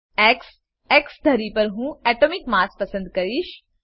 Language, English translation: Gujarati, X: I will select Atomic mass on X axis